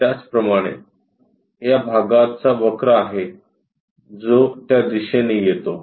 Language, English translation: Marathi, Similarly, this portion have a curve comes in that direction